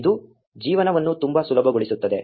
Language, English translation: Kannada, It just makes life a lot easier